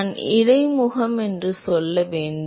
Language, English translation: Tamil, I should rather say interface